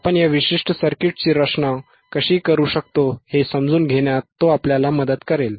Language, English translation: Marathi, and h He will help us to understand how we can design this particular circuit